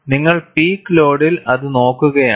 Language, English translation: Malayalam, At the peak load, you are looking at it